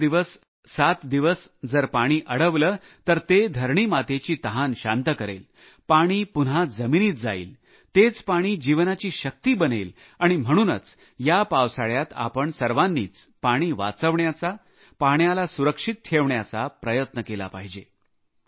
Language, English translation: Marathi, If the water is retained for five days or a week, not only will it quench the thirst of mother earth, it will seep into the ground, and the same percolated water will become endowed with the power of life and therefore, in this rainy season, all of us should strive to save water, conserve water